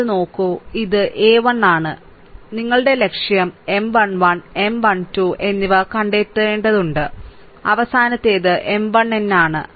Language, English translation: Malayalam, So, look at that, this this one ah this one this is a 1 our objective is have to find out M 1 1, M 1 2, M 1 3 and last one is that is your M 1 n